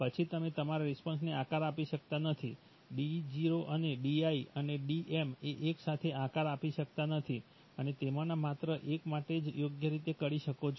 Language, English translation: Gujarati, Then you cannot shape your, shape your response to D0 and Di and Dm simultaneously, you can do it for only one of them right